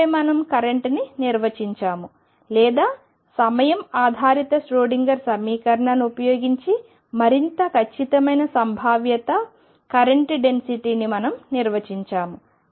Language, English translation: Telugu, And then we defined the current or to we more precise probability current density using time dependent Schroedinger equation